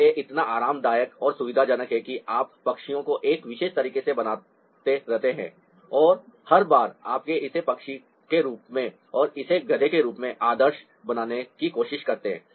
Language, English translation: Hindi, this so comfortable and convenient that you keep on making birds in a particular way and every time you try to idealize, it's as a bird and this as a donkey